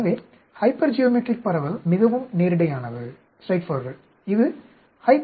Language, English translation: Tamil, So, hypergeometric distribution quite straight forward, this is HYPGEOMDIST